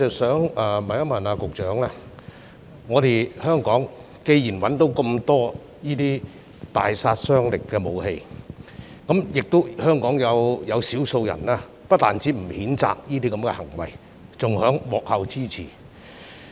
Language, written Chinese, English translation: Cantonese, 雖然在香港破獲這麼多大殺傷力的武器，但有少數人不單不譴責這些行為，還在幕後給予支持。, Despite the seizure of so many powerful weapons in Hong Kong a few people have not only refused to condemn these acts but have even given support behind the scene